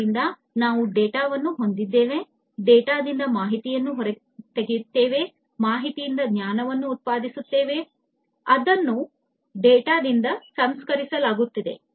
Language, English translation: Kannada, So, we have the data, then extracting information out of the data, generating knowledge out of the information, that is that is processed from the data